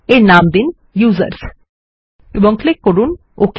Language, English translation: Bengali, Lets name it users and click on OK